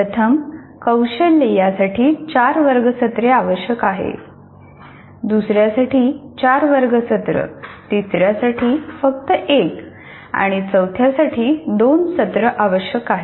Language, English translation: Marathi, Here we divided the first competency requires four classroom sessions, second one four classroom sessions, third one only one and fourth one requires two